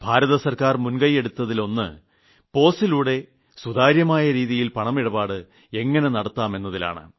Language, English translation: Malayalam, One of the initiatives in this regard taken by the Government of India is about how to make payments through 'Pos', how to receive money